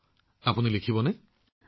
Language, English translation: Assamese, so will you write